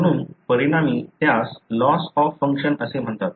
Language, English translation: Marathi, So, they result in what is called as loss of function